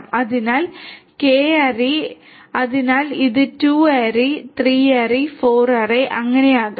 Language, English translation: Malayalam, So, you know K ary so it could be 2 ary, 3 ary, 4 ary and so on